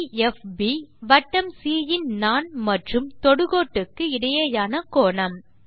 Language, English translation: Tamil, ∠DFB is angle between tangent and chord to the circle c